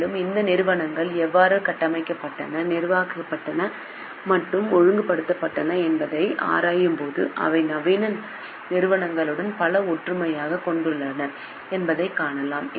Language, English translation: Tamil, Moreover, when we examine how these entities were structured, governed and regulated, we find that they bear many similarities to modern day corporations